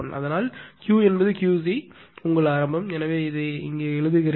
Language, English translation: Tamil, So, Q is Q c your initial; that means, ah let me write down here